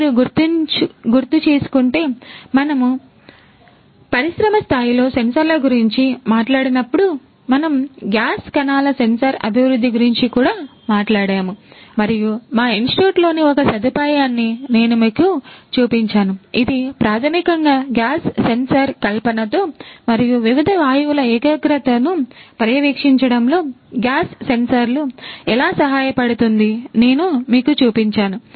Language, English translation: Telugu, If you recall, when we talked about sensors in the industry scale, we also talked about the development of a gas cells sensor and I had shown you one of the facilities in our institute which basically deals with the gas sensor fabrication and how gas sensors can help in monitoring the concentration of different gases right